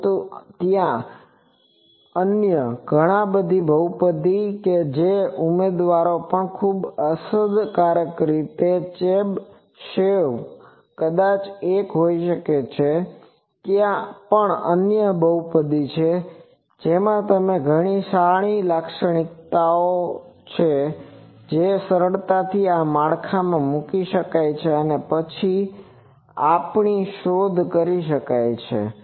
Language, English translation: Gujarati, So, but there are various other polynomials which are also candidates very effective candidates Chebyshev maybe one but there are other polynomials also with are has various good characteristic which can be easily ported to this framework and then it we can be explored